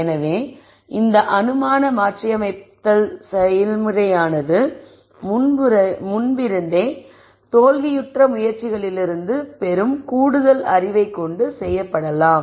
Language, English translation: Tamil, So, this assumption modi cation process could be done with more knowledge from failed attempts from before